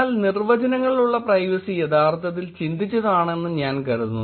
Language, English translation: Malayalam, ’ But I think the privacy by definitions is actually thought